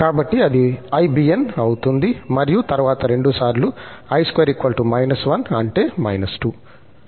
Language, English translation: Telugu, So, that will be ibn and then 2 times i square and that is minus 2 there